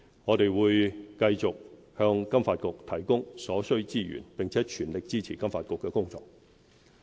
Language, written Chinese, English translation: Cantonese, 我們會繼續向金發局提供所需資源，並全力支持金發局的工作。, We will continue to provide FSDC with the necessary resources and fully support its work